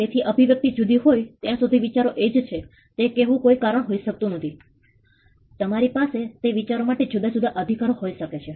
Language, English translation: Gujarati, So, that cannot be a reason to say that the idea is the same as long as the expression is different you can have different rights substituting in those ideas